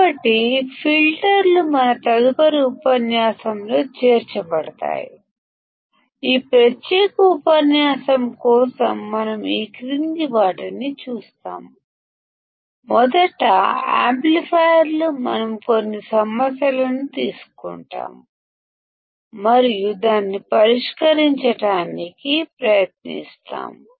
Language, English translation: Telugu, So, filters would be included our next lecture, for this particular lecture we will see the following, firstly amplifiers, we will take a few problems and we will try to solve it